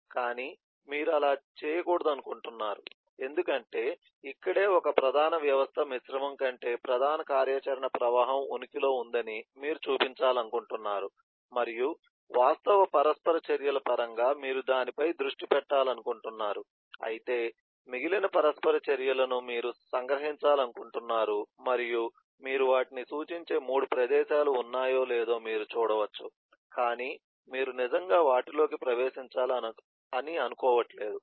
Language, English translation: Telugu, but you do not want to do that because this is where you want to show that this is where the major system than a mix, the major happy flow of the em activity exist and you want to focus on that, and you want to focus on that in terms of actual interactions, whereas the many interactions you want to abstract out and you can see if 3 places where you just refer them but you do not actually get into them